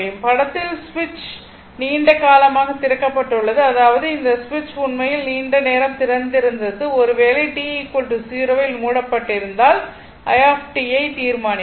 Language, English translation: Tamil, Now in this figure the switch has been open for a long time; that means, this switch actually was open for a long time and your what you call and if the switch is closed at t is equal to 0 determine i t